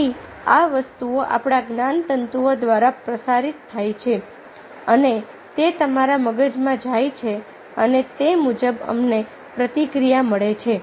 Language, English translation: Gujarati, then these things are transmitted through our nerves and it goes to your brain and accordingly we are getting the feedback